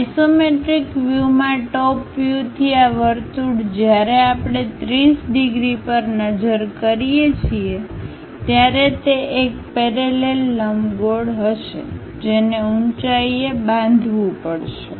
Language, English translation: Gujarati, From top view this circle again in the isometric view when we are looking at 30 degrees, again that will be a parallel ellipse one has to construct at a height height is 30